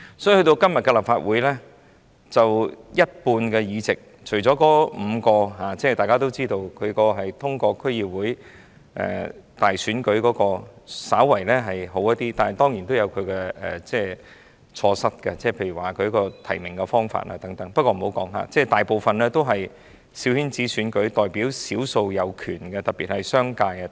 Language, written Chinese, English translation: Cantonese, 所以今天的立法會，大家也知道，除了5個議席通過區議會選舉產生，情況稍為好一點——但當然也有其錯失，例如提名方法等，我且不作深入討論——但我們大部分議席也是透過"小圈子"選舉產生，只代表少數的權力，特別是商界。, Hence the seats of the Legislative Council as we all know are still largely returned by a coterie election representing the minorities power especially that of the business sector . The only exception is the five seats returned by the District Council election . This is a small improvement but the election still has its fallacy such as the nomination method